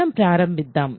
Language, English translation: Telugu, So, let us start